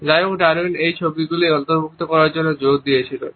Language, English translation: Bengali, However, Darwin had insisted on including these photographs